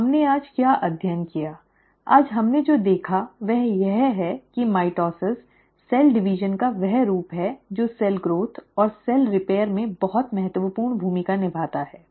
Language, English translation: Hindi, So, what did we study today, what we observed today is that mitosis is that form of cell division which plays a very important role in cell growth and cell repair